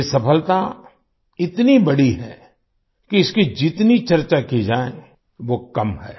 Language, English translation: Hindi, This success is so grand that any amount of discussion about it would be inadequate